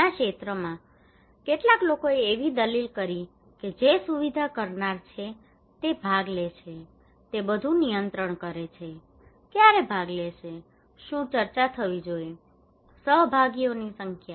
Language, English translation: Gujarati, In many extents, some people argued that the facilitator he controls everything who will participate, when will participate, What should be discussed, the number of participants